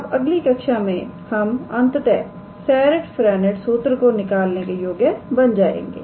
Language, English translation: Hindi, In the next class we will finally, be able to derive this Serret Frenet formula